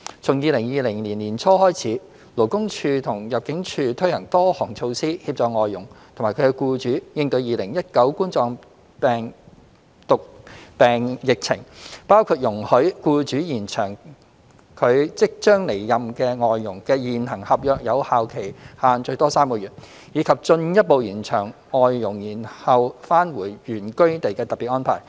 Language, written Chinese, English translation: Cantonese, 從2020年年初開始，勞工處及入境處推行多項措施，協助外傭及其僱主應對2019冠狀病毒病疫情，包括容許僱主延長其即將離任外傭的現行合約有效期限最多3個月，以及進一步延長外傭延後返回原居地的特別安排。, Since early 2020 the Labour Department LD and ImmD have put in place various measures to help FDHs and their employers cope with the COVID - 19 pandemic including allowing employers to extend the validity period of the existing contracts with their outgoing FDHs for a maximum of three months and further extending the special arrangement for FDHs to defer their return to their place of origin